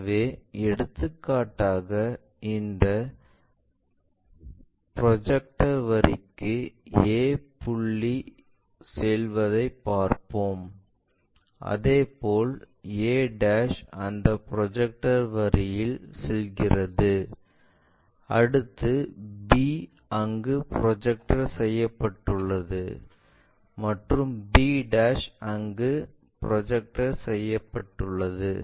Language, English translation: Tamil, So, for example, let us look at a point goes on to this projector line a' also goes on to that projected line, next b one projected to that and b' also projected to there